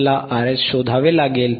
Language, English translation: Marathi, I have to find R H